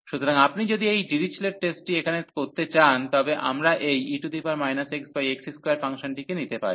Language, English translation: Bengali, So, if you want to use this Dirichlet test here, we can take this function e power minus x over x square